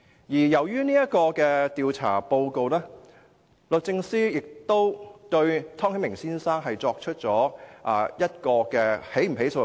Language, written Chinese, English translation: Cantonese, 由於這份調查報告，律政司亦曾經考慮對湯顯明先生作出起訴。, Given this inquiry report the Department of Justice once considered the initiation of prosecution against Mr Timothy TONG at the time